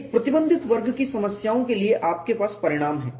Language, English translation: Hindi, For restricted flaws of problems you have the results